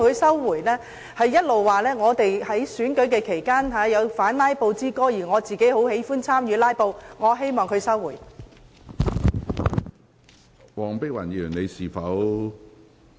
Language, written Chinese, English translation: Cantonese, 她指我們在選舉期間發表"反'拉布'之歌"，但卻很喜歡參與"拉布"，我希望她收回有關言論。, She accused us of actively engaging in filibustering even though we have broadcast a song of anti - filibustering during election . I want to ask her to withdraw her remarks